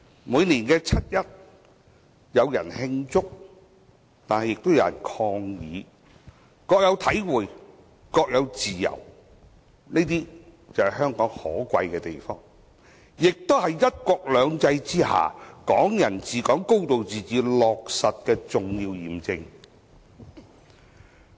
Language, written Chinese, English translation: Cantonese, 每年七一，有人慶祝亦有人抗議，各有體會，各有自由，這就是香港可貴之處，也是"一國兩制"下"港人治港"、"高度自治"得到落實的重要驗證。, On 1 July each year while some people hold celebrations some stage protests; each person can have his own experience and freedom . This is the preciousness of Hong Kong and this verifies that Hong Kong people administering Hong Kong and a high degree of autonomy have been implemented under one country two systems